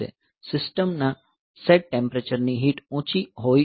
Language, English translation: Gujarati, So, the heat of the set temperature of the system may be high